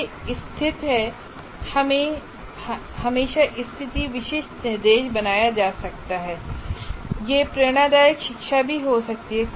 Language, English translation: Hindi, That is a situation specific instruction can be created and it can also be inspirational to learn